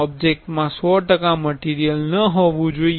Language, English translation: Gujarati, The object should not be 100 percentage material